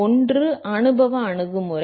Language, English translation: Tamil, One is the empirical approach